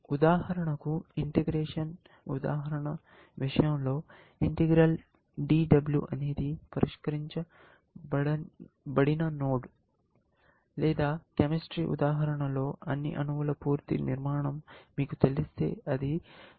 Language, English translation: Telugu, For example, in the integration example, something like, integral DW is the solved node, or in the chemistry example, we saw that once you know that complete structure of all the atoms, we are talking about, it is a solved node